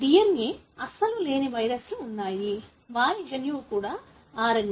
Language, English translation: Telugu, There are viruses which do not have DNA at all; their genome itself is RNA